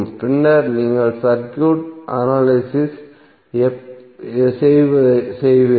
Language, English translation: Tamil, And then you will analyze the circuit